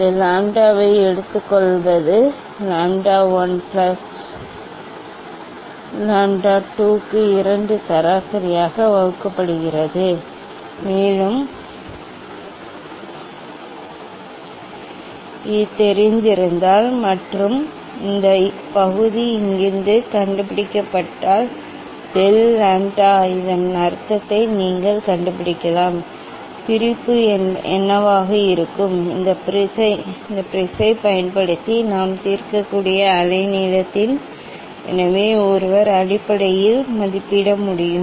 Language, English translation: Tamil, taking this lambda is equal to lambda 1 plus lambda 2 divided by two average one, And if it is known and this part from find out from here, so del lambda you can find out that means, what will be the what should be the separation of the wavelength, which we can resolve using this prism ok, so one can estimate basically